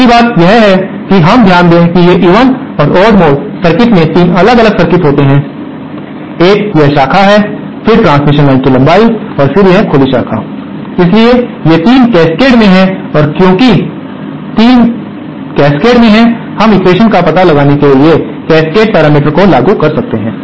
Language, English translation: Hindi, The other thing that we note is that these even and odd mode circuits consist of 3 different circuits, one is this branch, then the length of the transmission line and again an open branch, so these 3 are in cascade and because the 3 are in cascade, we can apply the cascade parameters to find out the equations